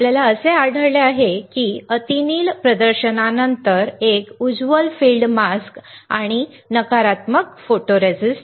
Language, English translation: Marathi, We will find that after UV exposure this one with bright field mask and negative photoresist, what we will find